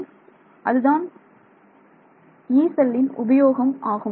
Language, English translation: Tamil, So, this is the use of this Yee cell alright